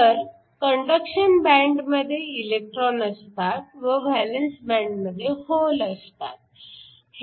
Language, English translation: Marathi, So, we have electrons in the conduction band and holes in the valence band